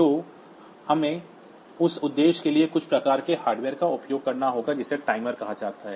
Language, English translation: Hindi, So, we have to use some sort of hardware called timers for that purpose